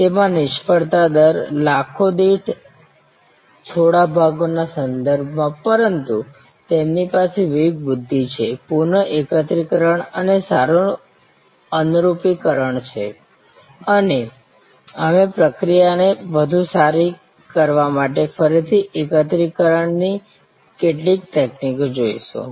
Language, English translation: Gujarati, Failure rates in that in terms of few parts per million, but they do have discretion, the discretion is reassembling and fine tuning and we will see some techniques of this reassembly again to optimize the process